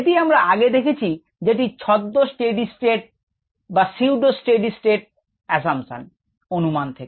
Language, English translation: Bengali, this is what we have already seen as the pseudo steady state assumption